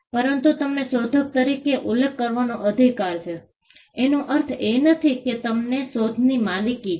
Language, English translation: Gujarati, But just because you have a right to be mentioned as an inventor, it does not mean that you own the invention